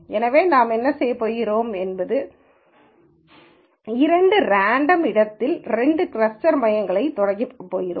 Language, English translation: Tamil, So, what we are going to do is we are going to start o two cluster centres in some random location